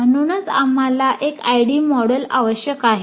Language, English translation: Marathi, That's why we require an ID model like this